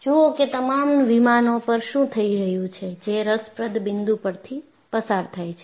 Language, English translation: Gujarati, So, you look at what happens on all the planes that passes through the point of interest